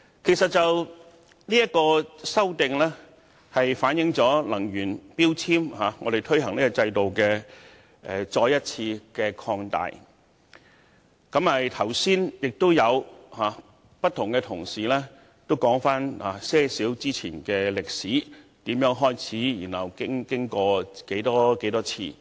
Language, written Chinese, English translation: Cantonese, 其實，《修訂令》是將能源標籤制度的範圍進一步擴大，剛才也有同事提及這個制度的發展歷史，從開始實施至各個階段的發展。, As a matter of fact the Amendment Order seeks to further extend the scope of the energy efficiency labelling scheme and earlier on colleagues have recounted the history of the development of this scheme and the various phases of development since the scheme was implemented